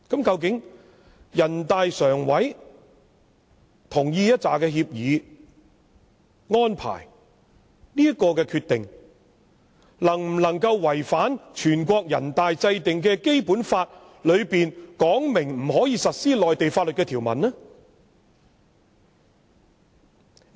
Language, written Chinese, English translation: Cantonese, 究竟人大常委會同意的協議、安排的這項決定，會否違反全國人大制定的《基本法》當中訂明不能在香港實施內地法律的條文呢？, Will the decision on the co - location agreement and arrangement agreed by NPCSC contravene the provisions that Mainland laws are not applicable to Hong Kong under the Basic Law formulated by NPC?